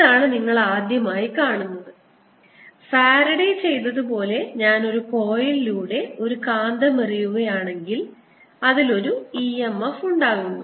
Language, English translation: Malayalam, so this is a first that you have seen that if i throw a magnet through a coil this is which is what faraday did that produces an e m f in that